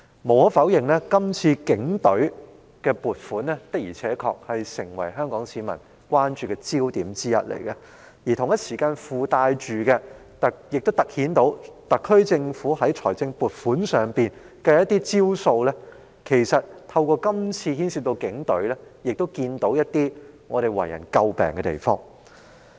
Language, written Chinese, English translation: Cantonese, 無可否認，警隊的撥款的確成為香港市民今次關注的焦點之一，隨之而來的是，這亦突顯了特區政府處理財政撥款的一些招數，因是次牽涉警隊問題而為人所見的可以詬病之處。, Undeniably the budget expenditure of the Police Force does become a focus of attention for Hong Kong people this time and the ensuing problem that has also highlighted some of the tricks played by the SAR Government when making financial allocation . They have become known to the public and are worthy of criticism since the problems with the Police Force are involved